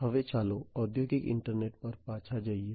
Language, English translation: Gujarati, Now, let us go back to the industrial internet